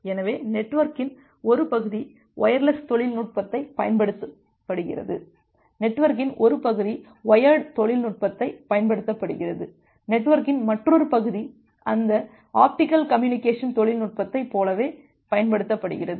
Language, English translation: Tamil, So, it may happen that well one part of the network is using wireless technology, one part of the network is using wired technology, another part of the network is using say like that optical communication technology